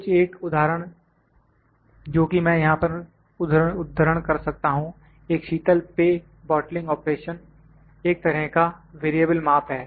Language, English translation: Hindi, A few examples that I could quote here is that for instance, a soft drink bottling operation is a kind of a variable measure